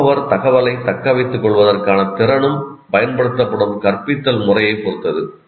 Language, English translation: Tamil, The learner's ability to retain information is also dependent on the type of teaching method that is used